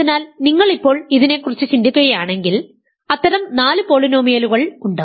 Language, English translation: Malayalam, So, now if you think about this, there are four such polynomials